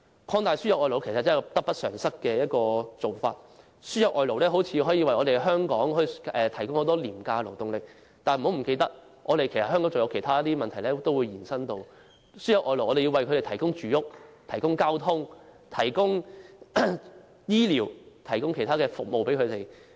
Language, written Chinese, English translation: Cantonese, 擴大輸入外勞其實得不償失，雖然看似能夠為香港提供廉價勞動力，但不要忘記，外勞可能令香港面對其他問題，例如我們要為外勞提供住屋、交通、醫療等服務。, Actually our losses will outweigh our gains as a result of the importation of labour . Although it appears that cheap labour can thus be provided for Hong Kong we must bear in mind that foreign labour might create other problems for Hong Kong . For instance we have to provide for them such services as housing transport health care and so on